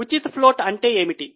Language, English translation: Telugu, What is a free float